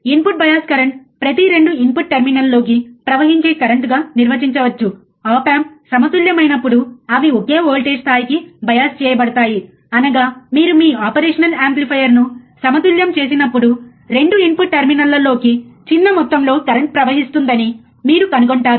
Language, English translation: Telugu, Input bias current can be defined as the current flowing into each of the 2 input terminals, each of the 2 input terminals, when they are biased to the same voltage level when the op amp is balanced; that means, that when you balance your operational amplifier, right